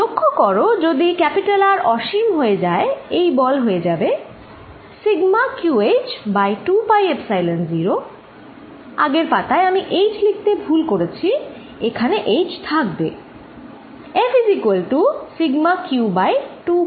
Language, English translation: Bengali, Notice, if R tends to infinity this force goes to sigma q over 2 pi Epsilon 0, if I go to the previous page there was not this h also which I missed